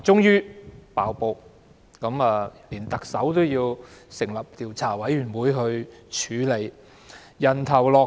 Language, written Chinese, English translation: Cantonese, 於是，特首便要成立調查委員會來處理，要人頭落地。, And so the Chief Executive decided to appoint a Commission of Inquiry to conduct investigation into the incident and make heads roll if need be